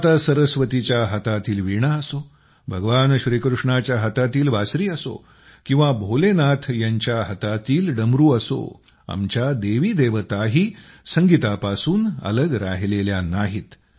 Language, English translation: Marathi, Be it the Veena of Maa Saraswati, the flute of Bhagwan Krishna, or the Damru of Bholenath, our Gods and Goddesses are also attached with music